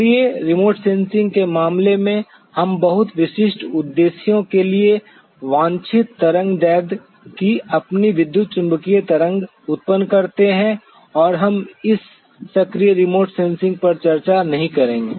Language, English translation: Hindi, In case of active remote sensing, we generate our own electromagnetic wave of a desired wavelength for very specific purposes and we will not be discussing on this active remote sensing